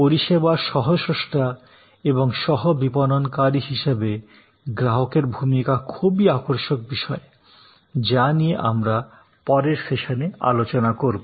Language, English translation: Bengali, So, the role of the customer as you co creator of service and as a co marketer of the service will be some interesting topics that we will take up in the subsequence session